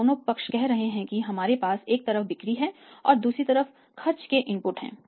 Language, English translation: Hindi, These two sides are say we have sales on the one side and we have the expenses inputs on the other side